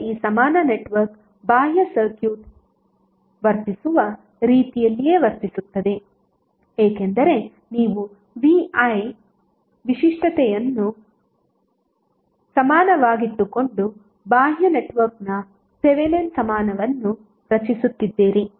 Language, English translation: Kannada, Now this equivalent network will behave as same way as the external circuit is behaving, because you are creating the Thevenin equivalent of the external circuit by keeping vi characteristic equivalent